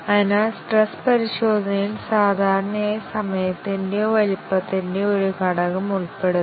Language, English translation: Malayalam, So, stress testing usually involves an element of time or size